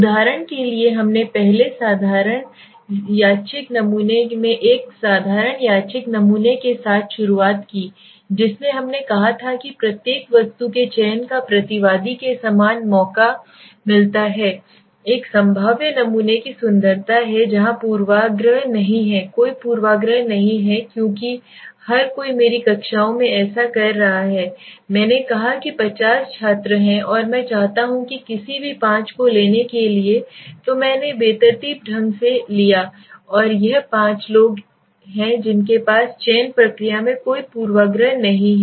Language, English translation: Hindi, For example we started with a simple random sampling okay in the first simple random sampling in which we said that every every item right every respondent gets an equal chance of selection right so that is the beauty of a probabilistic sampling where the biasness is not there so there is no biasness because everybody is getting so in my classes I said there are 50 students and I want to pick up any five so I pulled up randomly and this five are the people who have there is no bias in my selection process